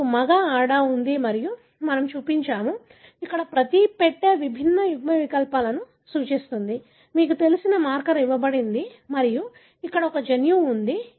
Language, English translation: Telugu, You have a male, female and we have shown, each box here represent the different alleles, right, of, you know, given marker and here is a gene